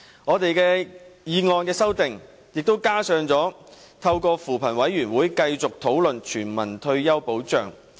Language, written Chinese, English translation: Cantonese, 我的修正案亦提出要透過扶貧委員會，繼續討論全民退休保障。, I also propose in my amendment that discussions about universal retirement protection should be continued through the Commission on Poverty CoP